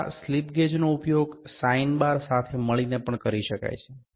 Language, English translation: Gujarati, Now, these slip gauges can also be used in conjunction with the sine bar